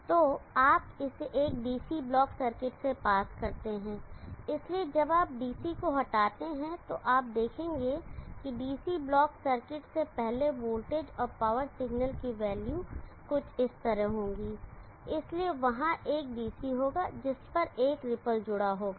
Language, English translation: Hindi, So you pass it through a DC block circuit, so when you remove the DC, so you will see that here before the DC block circuit the values of the voltage and power signal will be something like this, so there will be a DC plus on that there will be a ripple